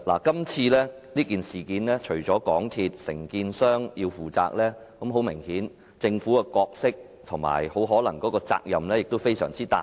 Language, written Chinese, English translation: Cantonese, 今次的事件，除了香港鐵路有限公司及承建商要負責，政府的角色及責任明顯也非常大。, Regarding this incident apart from the MTR Corporation Limited MTRCL and the contractors which should be held accountable the Governments role and responsibility are also significant